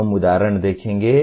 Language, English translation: Hindi, We will see examples